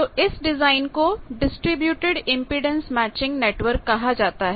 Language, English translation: Hindi, So, that design is called distributed impedance matching network